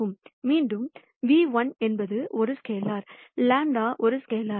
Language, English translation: Tamil, Again nu1 is a scalar lambda is a scalar